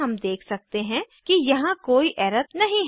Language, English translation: Hindi, We can see that there are no errors